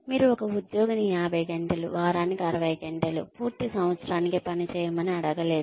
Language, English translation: Telugu, You cannot, ask an employee to work for, say 50 hours, 60 hours a week, for a full year